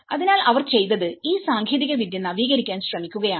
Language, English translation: Malayalam, So, what they did was they try to upgrade this technology